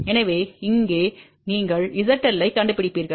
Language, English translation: Tamil, So, here you locate Z L